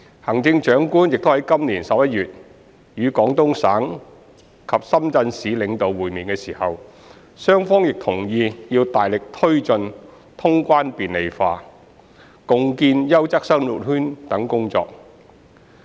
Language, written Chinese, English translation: Cantonese, 行政長官在今年11月與廣東省及深圳市領導會面時，雙方亦同意要大力推進通關便利化、共建優質生活圈等工作。, During the meeting between the Chief Executive and the leaders of the Guangdong Province and Shenzhen municipality in November this year both sides agreed to press ahead with the work in areas such as clearance facilitation joint development of a quality living circle etc